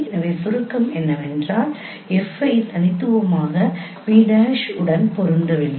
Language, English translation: Tamil, So the summary is that F does not uniquely map to pv prime